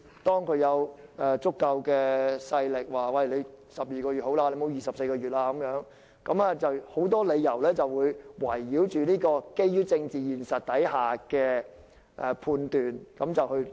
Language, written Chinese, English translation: Cantonese, 當有足夠勢力說12個月已足夠，不可24個月，一些人便會基於政治現實而作出判斷。, When a sufficiently strong force deems 12 months enough and 24 months not okay some people would then make a judgment based on such a political reality